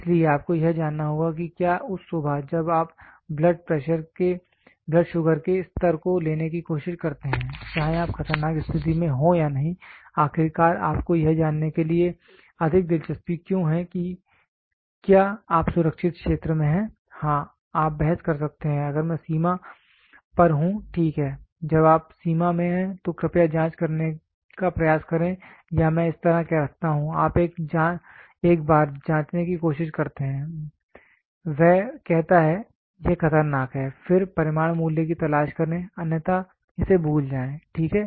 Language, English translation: Hindi, So, all you have to know is whether that morning when you try to take blood sugar level whether you are in an alarming situation or not, why at all you have more interested to know if you are in the safe zone, yes you might argue if I am in the border fine, when you are in the border please try to check or I would put this way you try to check once it says alarming then look for the magnitude value otherwise just forget it, ok